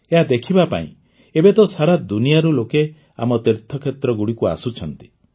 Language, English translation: Odia, Now, for 'darshan', people from all over the world are coming to our pilgrimage sites